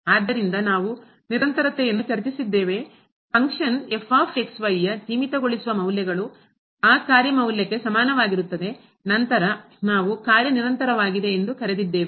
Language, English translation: Kannada, So, we have discuss the continuity; that is equal to the limiting value here is equal to the function value of the of that function, then we call that the function is continuous